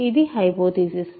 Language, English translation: Telugu, This is the hypothesis